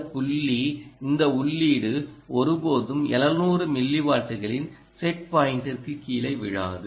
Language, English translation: Tamil, whatever maybe the case, this point this input will never fall below the set point of seven hundred millivolts